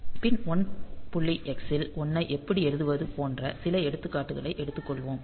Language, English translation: Tamil, So, we will take some example like how to write a 1 to the pin say 1